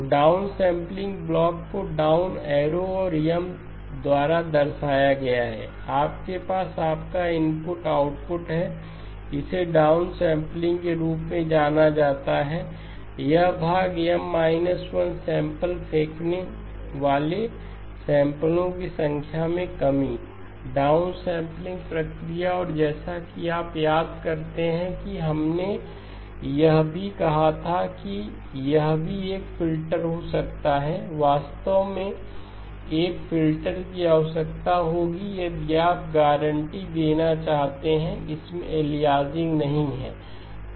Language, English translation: Hindi, So the down sampling block denoted by a down arrow and M, you have your input, output, this is referred to as down sampling, this portion, reduction of the number of samples throwing away M minus 1 samples, down sampling process and as you recall we also said that this also can have a filter in fact will require a filter if you want to guarantee that it does not have aliasing